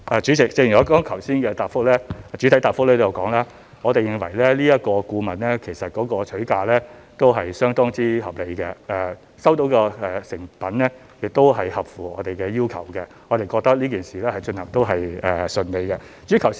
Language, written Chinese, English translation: Cantonese, 主席，正如我剛才在主體答覆中已提到，我們認為這個顧問的取價相當合理，收到的成品亦合乎我們的要求，我們覺得這件事情也順利進行。, President as I said in the main reply we reckon that the fee charged by the consultant is very reasonable and its services also meet our requirements . We also think that the whole matter has been conducted in a smooth manner